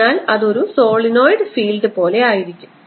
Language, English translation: Malayalam, so this becomes like a solenoid